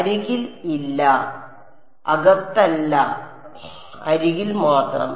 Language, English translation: Malayalam, No on the edge only on the edge not the inside